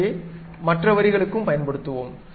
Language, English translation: Tamil, Let us use the same thing for other line